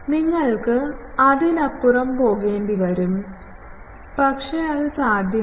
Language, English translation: Malayalam, You will have to go beyond that, but that is physically not possible